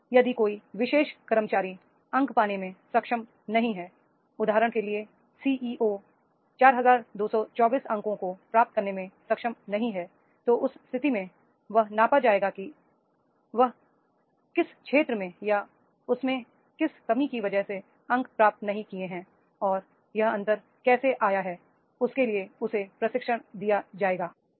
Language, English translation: Hindi, And if the particular employee is not able to meet, for example, CEO is not able to meet 4,224 points, then in that case there will be the measurement that is where he is lacking and wherever the areas, the gap is there and for that purpose the training can be provided